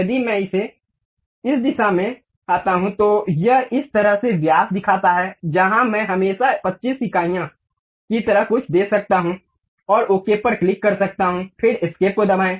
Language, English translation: Hindi, If I come in this direction, it shows diameter in this way where I can always give something like 25 units, and click OK, then press escape